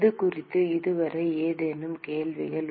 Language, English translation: Tamil, Any questions on this so far